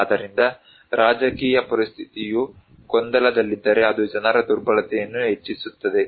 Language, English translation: Kannada, So, if the political situation is in a turmoil that will of course increase people's vulnerability